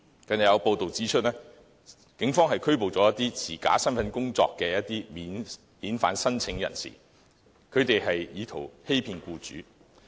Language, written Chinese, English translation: Cantonese, 近日有報道指出，警方拘捕了持假身份證工作的免遣返聲請人士，他們意圖欺騙僱主。, It was reported recently that some non - refoulement claimants who tried to cheat employers with fake identity cards were arrested by the police